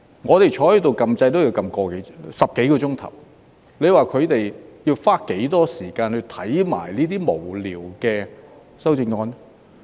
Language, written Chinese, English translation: Cantonese, 我們坐在這裏按掣也要花10多個小時，你說他們要花多少時間去看那些無聊的修正案？, When sitting here pressing the button already took us some 10 hours how long do you say it had taken them to read those frivolous amendments?